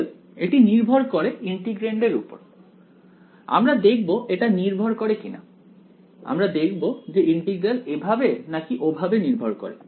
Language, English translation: Bengali, So, it depends on the integrand we will see whether it depends right, we will see whether the integral matters one way or the other right